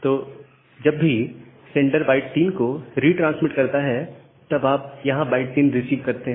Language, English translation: Hindi, So, whenever the sender is retransmitting byte 3 so, you have received byte 3 here